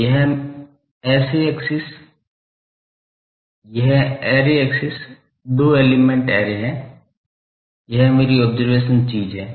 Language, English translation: Hindi, So, this is the array axis two element array this is my observation thing